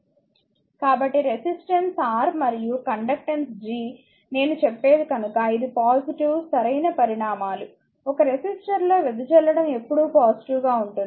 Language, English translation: Telugu, So, since resistance R and conductance G are just what I will told, that it is positive right quantities the power dissipated in a resistor is always positive